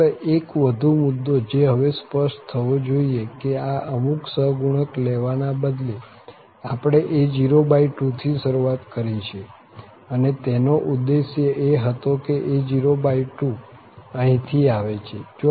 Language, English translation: Gujarati, Just one more point which must be clear now that instead of this having some constant, we have started with a0 by 2, and the aim was to have this a0 by 2 exactly come from here